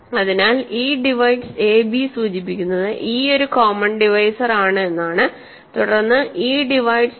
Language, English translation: Malayalam, So, e divides a and b implies e is a common divisor then e divides d